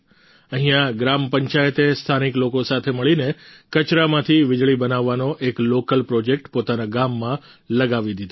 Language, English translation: Gujarati, Here the Gram Panchayat along with the local people has started an indigenous project to generate electricity from waste in their village